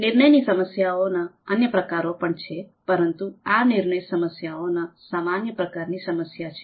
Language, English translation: Gujarati, There are other types of decision problems as well, but these are the more common types of decision problems